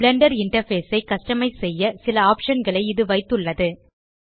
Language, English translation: Tamil, This contains several options for customizing the Blender interface